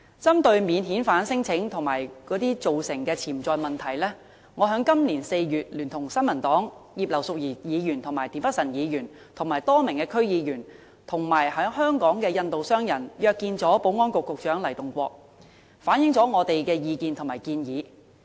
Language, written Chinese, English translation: Cantonese, 針對免遣返聲請及其造成的潛在問題，我在今年4月聯同新民黨葉劉淑儀議員、田北辰議員、多名區議員和在港的印度商人約見保安局局長黎棟國，反映我們的意見和建議。, With regard to non - refoulement claims and the potential problems they generate I met with Secretary for Security Mr LAI Tung - kwok in April this year together with Mrs Regina IP and Mr Michael TIEN of the New Peoples Party as well as a number of District Council members and local Indian businessmen to convey our comments and suggestions